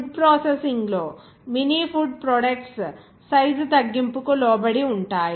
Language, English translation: Telugu, In food processing, Mini food products are subjected to size reduction